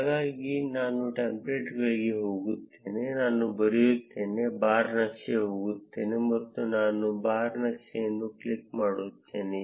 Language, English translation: Kannada, So, I go to the templates, I write, go to bar chart, and I click this bar chart